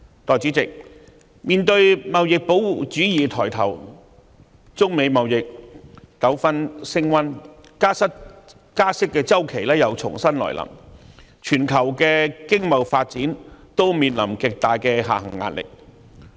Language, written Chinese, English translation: Cantonese, 代理主席，面對貿易保護主義抬頭，中美貿易糾紛升溫，加息周期又重新來臨，全球經貿發展均面臨極大下行壓力。, Deputy President faced with the emergence of trade protectionism and intensifying trade disputes between China and the United States coupled with a fresh round of interest rate hike the global economic and trade developments are under tremendous downside pressure